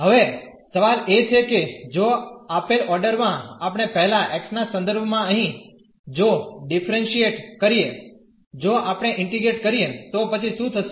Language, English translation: Gujarati, The question is now if we differentiate if we integrate here with respect to x first in the given order, then what will happen